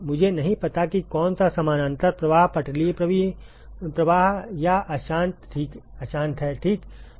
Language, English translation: Hindi, I do not know which one is parallel flow laminar or turbulent ok